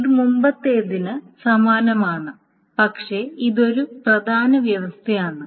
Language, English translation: Malayalam, This is the same as the earlier but this is one important condition in addition